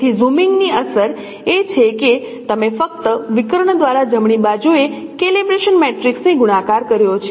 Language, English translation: Gujarati, So the effect of zooming is that you are simply multiplying the calibration matrix on the right by diagonal